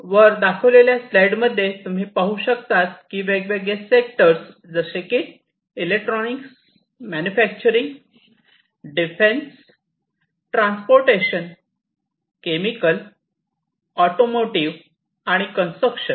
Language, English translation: Marathi, And in this particular plot, as you can see, for different sectors electronics, manufacturing, defense, transportation, chemical, automotive, and construction